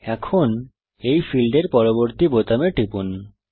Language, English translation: Bengali, Now, click on button next to this field